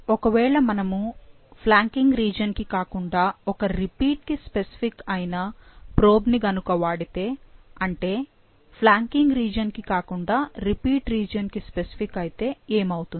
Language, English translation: Telugu, But, what if we use a probe which is specific to one of the repeats and not the flanking regions, specific, rather specific to the repeat region and not the flanking region